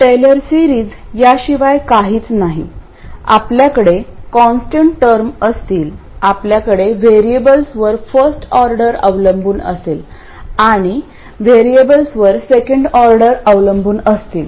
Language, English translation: Marathi, Taylor series is nothing but you will have a constant term, you will have first order dependence on the variables and second order dependence on the variables and so on